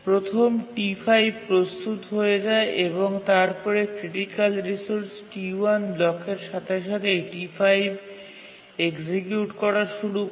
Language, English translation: Bengali, And then as soon as the T1 blocks for the critical resource, T5 starts executing